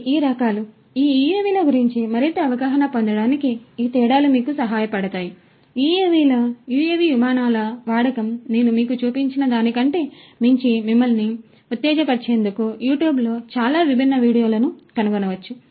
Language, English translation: Telugu, These differences will help you to gain better understanding more information about these UAVs, use of UAVs flights of UAVs you can find lot of different videos in YouTube to excite you more beyond what I have shown you